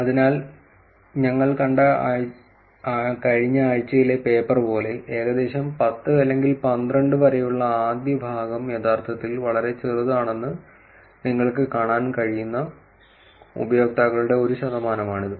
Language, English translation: Malayalam, So, again like the last week paper that we saw, it is a percentage of users where you can actually see that the first part until about 10 or 12 is actually very short